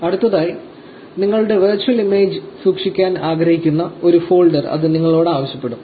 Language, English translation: Malayalam, Next, it will ask you for a folder where you want to store your virtual image